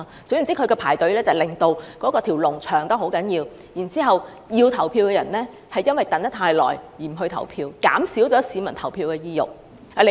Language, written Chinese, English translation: Cantonese, 總言之，他們排隊令人龍增長，以致原本想投票的人因為等得太久而不投票，降低市民投票的意欲。, In a word these people queued up for the purpose of prolonging the waiting time thus discouraging people who originally wanted to vote but did not want to wait too long